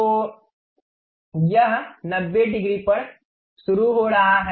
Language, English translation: Hindi, So, it is starting at 90 degree